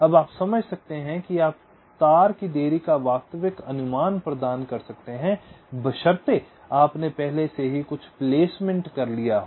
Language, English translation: Hindi, now you can understand, you can provide realistic estimate of the wire delays, provided you already had made some placement